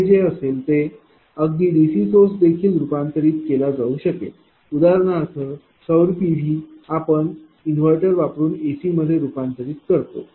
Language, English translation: Marathi, So, whatever it is it has been converted to even in DC also for example, solar PV that you are converting by using inverter through the AC thing right